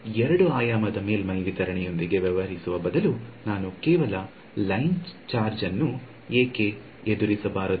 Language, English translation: Kannada, So, instead of dealing with a 2 dimensional surface distribution why not I deal with just a line charge